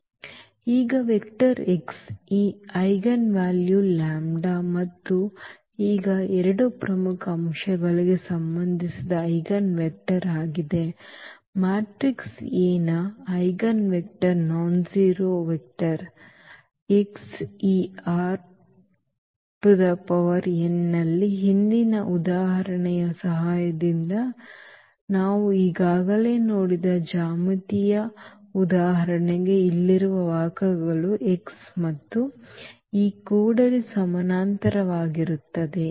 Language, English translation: Kannada, So, now the vector x is the eigenvector associated with this eigenvalue lambda and the two important points now, the geometrically which we have already seen with the help of earlier example that an eigenvector of a matrix A is a nonzero vector, x in this R n such that the vectors here x and this Ax are parallel